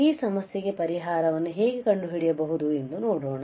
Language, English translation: Kannada, So, let us see how we can find the solution